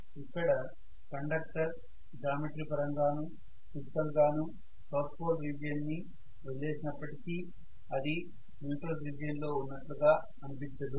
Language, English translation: Telugu, So that conductor even though it has geometrically, physically left the region of south pole, it is not going to feel as though it is in the neutral region